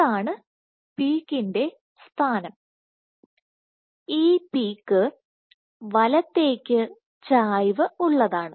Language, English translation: Malayalam, So, here the peak, this is the position of the peak, peak is right shifted